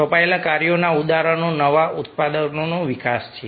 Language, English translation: Gujarati, examples of assigned tasks are the development of a new products